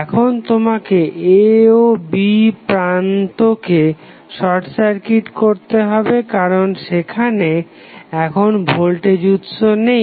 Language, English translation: Bengali, So, what you have to do you have to simply short circuit the notes A and B because now voltage source is not available